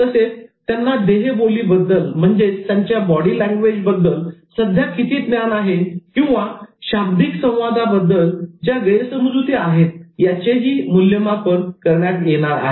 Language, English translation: Marathi, And the assessments were done for checking their existing knowledge about body language and to clear certain misconceptions about non verbal communication